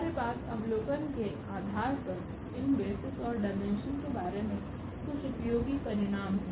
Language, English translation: Hindi, There are some useful results based on the observations what we have regarding these basis and dimension